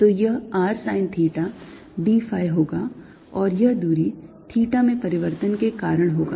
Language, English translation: Hindi, so this is going to be r sine theta d phi and this distance is going to be due to change in theta, so this is going to be r d theta